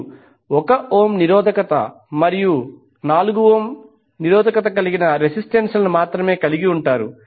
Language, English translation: Telugu, You will left only with the resistances that is 1 ohm resistance and 4 ohm resistance